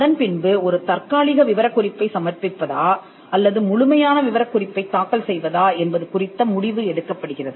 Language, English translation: Tamil, Then they could be a call taken on whether to file a provisional specification or a complete specification